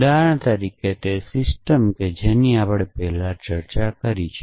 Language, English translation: Gujarati, So, for example, the system that we discussed earlier